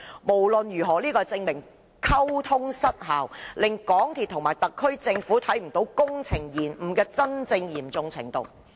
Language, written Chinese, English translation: Cantonese, 無論屬何情況，溝通失效令港鐵公司和政府高層看不見工程延誤的真正嚴重程度。, Either way this failure in communication left senior officers in MTRCL and Government unsighted as to the true severity of delays